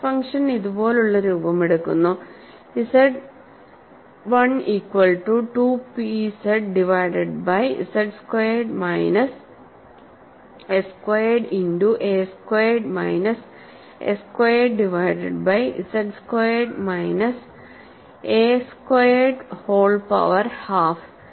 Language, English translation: Malayalam, And the stress function takes the form like this, Z 1 equal to 2 P z divided by pi of z squared minus s squared multiplied by a squared minus s squared divided by z squared minus a squared whole power half